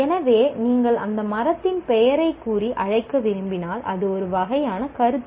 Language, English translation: Tamil, So that entity if you want to call it, the tree is a kind of a concept